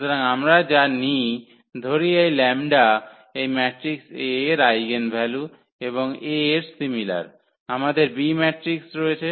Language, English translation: Bengali, So, what we take that let us say this lambda is the eigenvalue of this matrix A and the similar to A, we have the B matrix